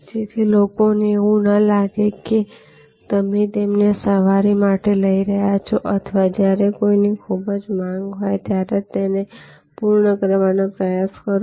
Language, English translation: Gujarati, So, that people do not feel that you are taking them for a ride or trying to finishing them when somebody’s in great demand